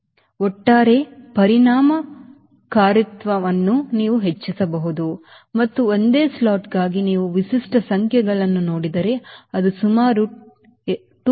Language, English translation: Kannada, so overall effectiveness you can increase and if you see the typical numbers for a single slotted, it will be around two